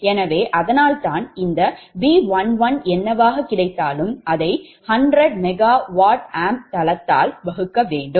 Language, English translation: Tamil, so thats why this b one one, whatever you have got it, has to be divided by hundred, m v a base